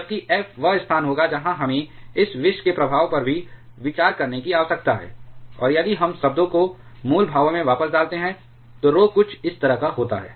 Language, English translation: Hindi, Whereas, f will be where we also need to consider the effect of this poison and if we put the terms back into original expressions then rho comes to be something like this